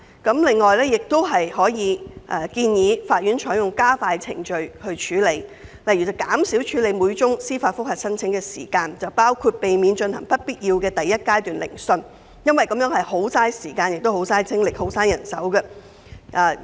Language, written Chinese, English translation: Cantonese, 此外，亦可考慮建議法院採用加快程序作出處理，例如減少處理每宗司法覆核申請的時間，包括避免進行不必要的第一階段聆訊，因這是十分浪費時間、精力及人手的做法。, Consideration may be given to advising the courts to adopt expedited procedures such as shortening the time used for processing each application for judicial review including avoiding the conduct of the unnecessary Phase 1 hearings which is a waste of time energy and manpower